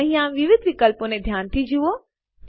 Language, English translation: Gujarati, Notice the various options here